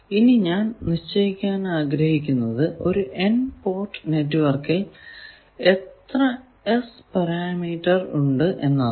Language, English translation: Malayalam, So how many S parameters are there in an n port network there are n by n that means n square number of S parameters